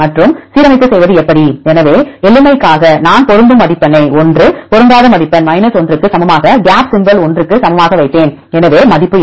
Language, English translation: Tamil, And how to make the alignment; so for simplicity I put the match score equal to 1 mismatch score equal to 1 and gap symbol equal to 1; so what is the value